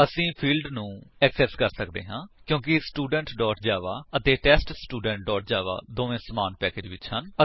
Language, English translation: Punjabi, We can access the fields because both Student.java and TestStudent.java are in the same package